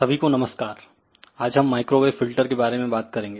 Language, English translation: Hindi, Today we are going to talk about microwave filters